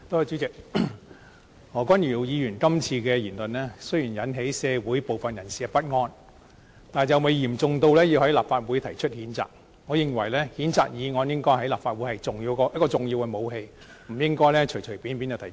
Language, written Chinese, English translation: Cantonese, 主席，何君堯議員今次的言論雖然引起社會部分人士的不安，但尚未嚴重至需要在立法會提出譴責，我認為譴責議案在立法會內應該是重要的武器，不應該隨便提出。, President although the remarks made by Dr Junius HO this time around have caused discomfort to some people they are not serious enough to warrant a censure motion in the Legislative Council . I consider a censure motion is a weapon of utmost importance in the Legislative Council and it should not be used randomly